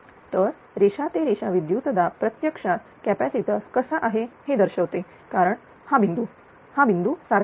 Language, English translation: Marathi, So, line to line voltage actually impress that is how the capacitor, because this point this point same this point this point same